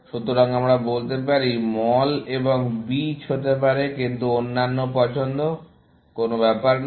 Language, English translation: Bengali, So, let us say, mall and beech, and may be, some other choices; does not matter